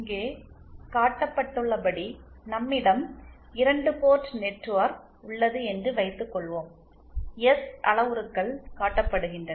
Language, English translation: Tamil, Suppose we have a 2 port network as shown here, S parameters are shown